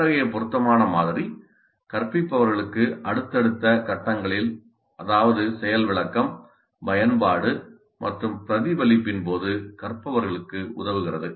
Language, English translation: Tamil, Such an appropriate model helps the learners during the subsequent phases of the instruction that is during demonstration, application and reflection